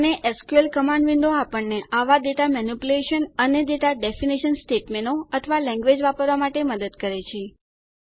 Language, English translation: Gujarati, And the SQL command window helps us to use such data manipulation and data definition statements or language